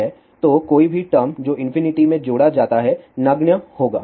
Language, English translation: Hindi, So, any term which is added to infinity will be negligible